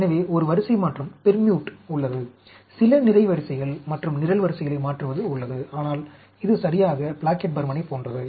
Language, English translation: Tamil, So, there is a permute, there is a switching over of some rows and columns, but, it is exactly like Plackett Burman